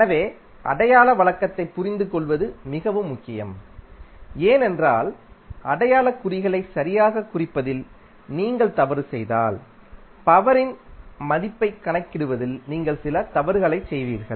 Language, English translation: Tamil, So, the sign convention is very important to understand because if you make a mistake in representing the signs properly you will do some mistake in calculating the value of power